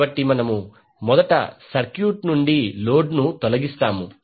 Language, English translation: Telugu, So, first we will remove the load from the circuit